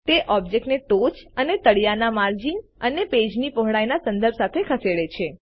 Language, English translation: Gujarati, It moves the object with respect to the top and bottom margins and the page width